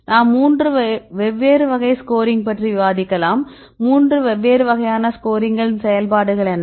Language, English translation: Tamil, So, we discuss about 3 different types, what is different types of scoring functions